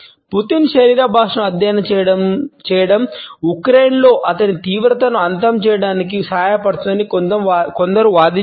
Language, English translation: Telugu, Some argues study in Putin’s body language could help to terminate his intensions in Ukraine